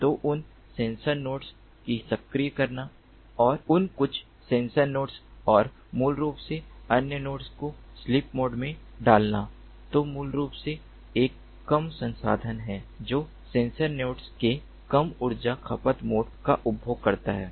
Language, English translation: Hindi, first of all, identify the position of the target and then track it, so activating those sensor nodes and those few sensor nodes and basically putting the other nodes to the sleep mode, which is basically a low resource consuming, low energy consuming mode of the sensor nodes